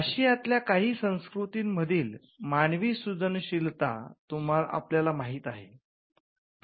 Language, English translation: Marathi, Human creativity as we know from certain Asian cultures